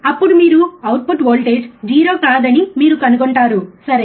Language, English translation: Telugu, So, is the output voltage is not 0, how we can make it 0, right